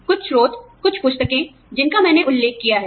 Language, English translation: Hindi, Some sources, some books, that I have refer to